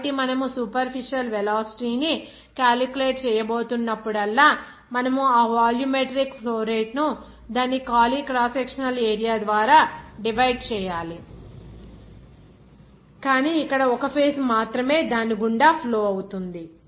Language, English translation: Telugu, So, whenever you are going to calculate the superficial velocity, of course, you have to divide that volumetric flow rate by its empty cross sectional area, but that means here only one phase is flowing through that